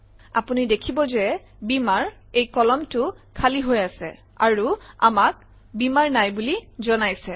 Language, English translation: Assamese, You can see Beamer – this column is blank – suggesting that we do not have Beamer